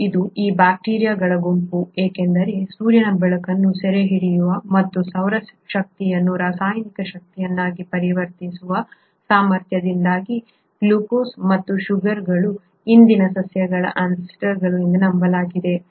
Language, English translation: Kannada, And it is these group of bacteria, because of their ability to capture sunlight and convert that solar energy into chemical energy which is what you call as the glucose and sugars are believed to be the ancestors of the present day plants